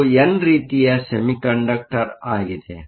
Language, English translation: Kannada, So, this is an n type semiconductor